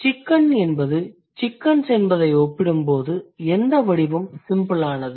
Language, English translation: Tamil, So, which one, when you compare chicken and chickens, which form is the simpler one